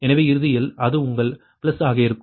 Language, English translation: Tamil, so ultimately it will be your plus